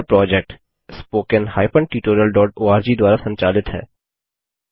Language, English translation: Hindi, This project is co ordinated by Spoken Tutorial.org http://spoken tutorial.org